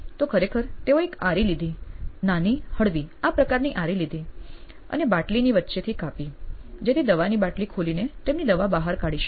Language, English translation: Gujarati, So she actually took a hacksaw, mild small hacksaw like this and cut the neck of the bottle to open the medicine bottle to get her medicines out